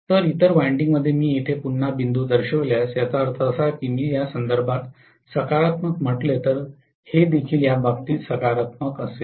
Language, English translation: Marathi, So the other winding if I show again a dot here that means if I call this as positive with respect to this, this will also be positive with respect to this